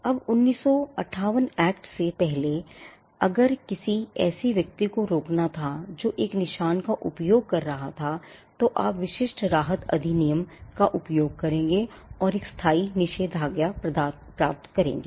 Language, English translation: Hindi, Now before the 1958 act, if there was a need to stop a person who was using a mark, you would use the Specific Relief Act 1877 and get a permanent injunction